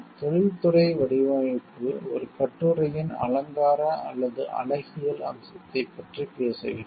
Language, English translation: Tamil, Industrial design talks of the ornamental or aesthetics aspect of an article